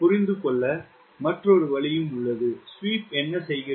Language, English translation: Tamil, there is a another way of understanding what is the sweep doing